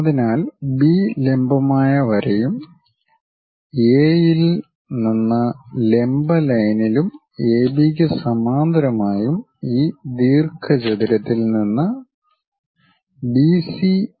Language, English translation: Malayalam, So, B also perpendicular line; from A also perpendicular line and parallel to AB, draw at a distance of BC this rectangle